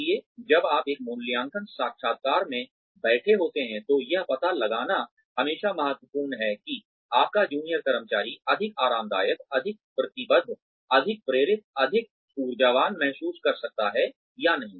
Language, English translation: Hindi, So, when you are sitting in an appraisal interview, it is always very important to find out, what can or how your junior employee can feel more comfortable, more committed, more driven, more energized, to do the work that they are there to do